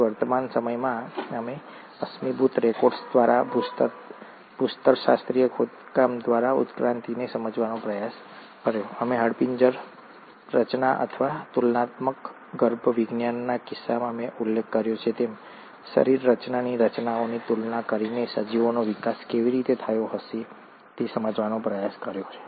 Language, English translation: Gujarati, So in present day, we tried to understand evolution through fossil records, through geological excavations; we also tried to understand how the organisms would have evolved by comparing the anatomical structures, as I mentioned, in case of skeletal formation or comparative embryology